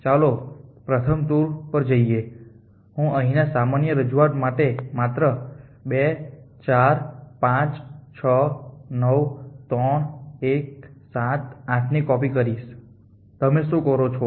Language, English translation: Gujarati, The let us take the first 2 an you just copy here 2 4 5 6 9 3 in the ordinary representation what you do